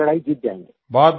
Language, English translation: Hindi, We shall win this battle